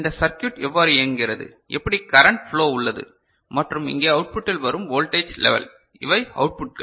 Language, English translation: Tamil, How this circuit is working, how the current flow and the voltage level coming over here at the output these are the outputs ok